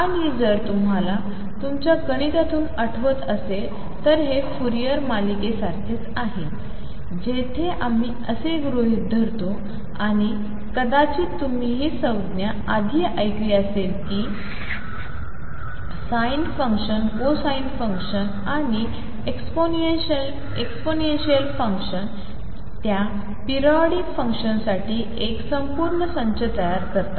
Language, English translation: Marathi, And if you recall from your mathematics this is similar to a Fourier series, where we assume and may be you heard this term earlier that the sin function cosine function and exponential function they form a complete set for those periodic functions